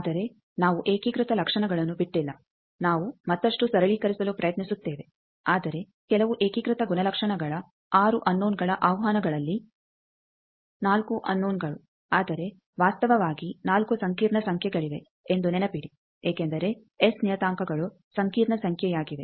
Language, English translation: Kannada, But we have not exhausted unitary property we will try to further simplify, but out of 6 unknowns invocation of some of the unitary properties are 4 unknowns, but remember there are actually 4 complex numbers because S parameters are complex number